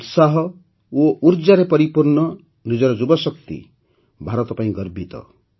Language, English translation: Odia, India is proud of its youth power, full of enthusiasm and energy